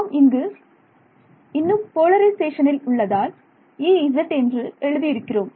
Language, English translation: Tamil, We are still in the T M polarization that is why I have written this is E z